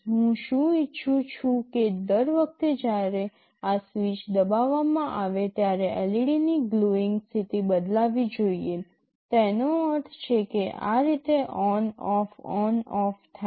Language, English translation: Gujarati, What I want is that every time this switch is pressed the glowing status of the LED should change; that means, on off on off like that